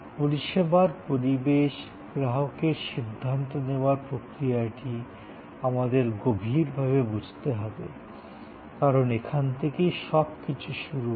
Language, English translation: Bengali, So, the process of decision making of a consumer in the service setting must be understood in depth, because that is where everything starts